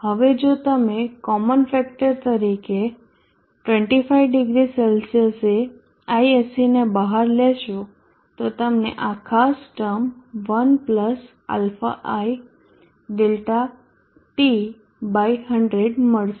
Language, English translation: Gujarati, Now if you take out ISC at 250C out as a common factor you will get this particular term 1 + ai